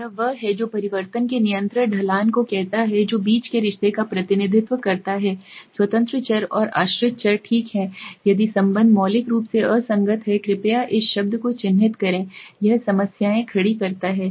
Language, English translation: Hindi, Which is what it says the consistent slope of change that represents the relationship between independent variable and the dependent variable okay, if the relationship is radically inconsistent please mark this word, it poses problems